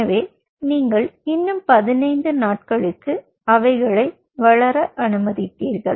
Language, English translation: Tamil, so then you allowed them to grow for another fifteen days